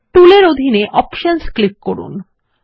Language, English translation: Bengali, Under Tools, click on Options